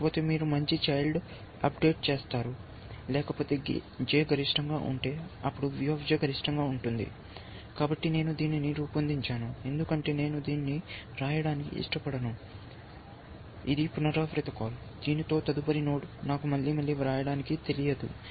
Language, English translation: Telugu, Otherwise you will update to a better child, else if J is max, then V J get max, so I just use this devised, because I do not want write this, this is a recursive call notice, it is a recursive call, with an next node, I just do not know to write it again and again